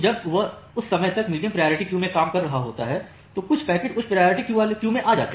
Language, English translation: Hindi, When it is serving the medium priority queue by that time some packets come to the high priority queue